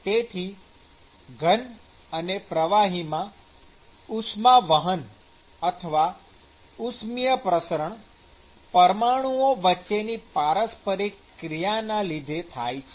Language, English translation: Gujarati, So, the conduction or the thermal diffusion in liquids or solids typically occurs through molecular interactions